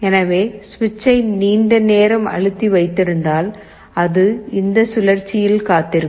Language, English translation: Tamil, So, if we keep the switch pressed for a long time, it will wait in this loop